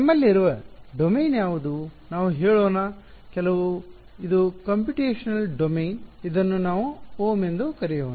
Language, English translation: Kannada, What is the domain that we have, let us say some this is a computational domain, let us call it capital omega ok